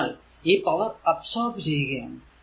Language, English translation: Malayalam, So, it will be power absorbed